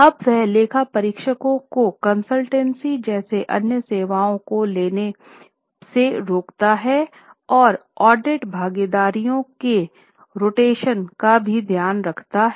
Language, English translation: Hindi, Now it prohibits auditors from taking other services like consultancy and also necessitates rotation of audit partners